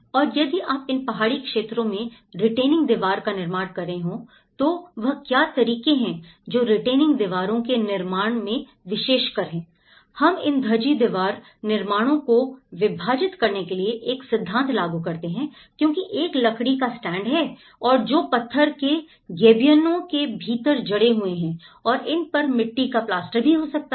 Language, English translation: Hindi, And also, the retaining walls if you are constructing in these hilly areas, what are the methods one has to approach in constructing the retaining walls and especially how, what are the principles we apply in subdividing these Dhajji wall constructions because there is a timber studs and which are embedded within the stone gabions sort of thing or it could be mud plastered as well